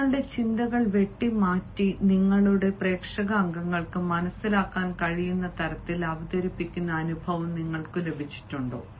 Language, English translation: Malayalam, have you got the experience of cutting your thoughts and then presenting it so that your audience members can understand again